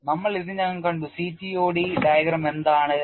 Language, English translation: Malayalam, We had already seen what the diagram is for CTOD